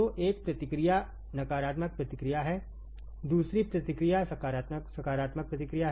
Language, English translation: Hindi, So, one of the feedback is negative feedback another feedback is positive feedback